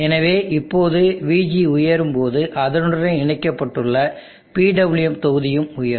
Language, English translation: Tamil, So now let us say when VG goes high, VG connect from the PWM block goes high